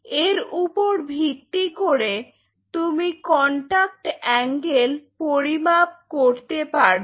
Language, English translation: Bengali, So, that is called contact angle measurements